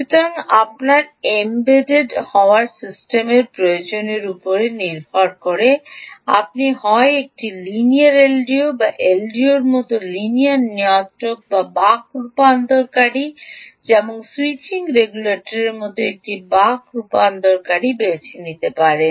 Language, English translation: Bengali, ok, so, depending on what your embedded system would require, ah, you would either choose a linear l d o or linear regulator, like an l d o, or a a buck converter like ah, the switching regulator, such as the buck converter